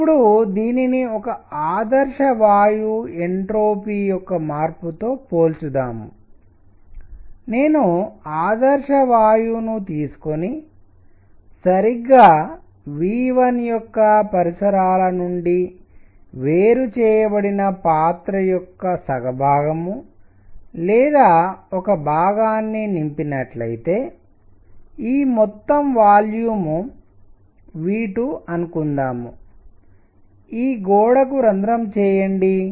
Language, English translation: Telugu, Now, let us compare this with an ideal gas change of entropy, if I take an ideal gas fill 1 half or 1 portion of a container which is isolated from surroundings right of V 1 and this whole volume is V 2 and puncture this wall